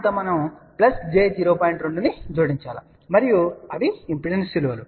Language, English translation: Telugu, 2 and these are the impedance values